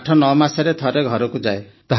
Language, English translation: Odia, I go home after 89 months